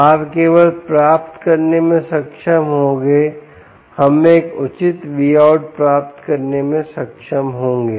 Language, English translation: Hindi, you will only be able to get we will get be able to get a proper v out